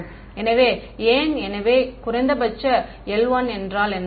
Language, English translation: Tamil, So, why; so, minimum l 1 means what